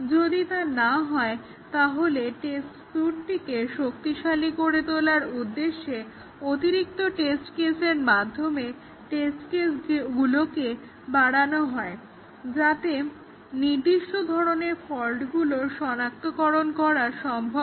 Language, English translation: Bengali, If not, the test case will be augmented with additional test cases to strengthen the test suite, so that the specific type of fault will be detected